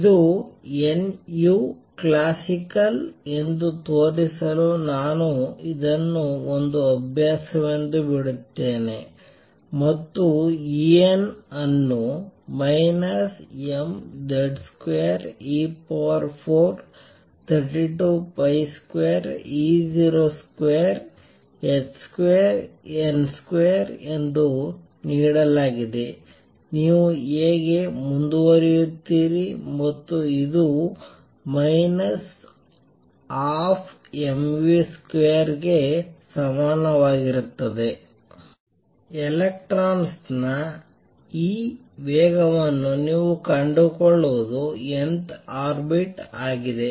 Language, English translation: Kannada, I leave it as an exercise for you to show that this is nu classical and this is how you proceed E n is given to be minus m z square e raise to 4 over 32 pi square epsilon 0 square h square n square and this is also equal to minus 1 half m v square from this, you can find what this speed of the electron in the nth orbit is